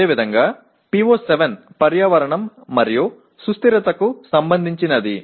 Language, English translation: Telugu, And similarly PO7 is related to Environment and Sustainability